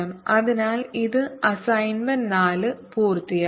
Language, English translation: Malayalam, so this completes assignment four for us